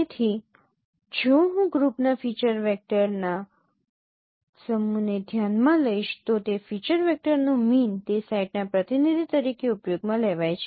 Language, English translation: Gujarati, So, if I consider a set of feature vectors form a group then the mean of that feature vector is used as a representative for that set